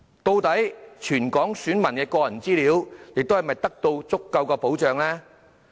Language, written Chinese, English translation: Cantonese, 究竟全港選民的個人資料是否獲得足夠的保障呢？, Are the personal data of electors in Hong Kong sufficiently protected?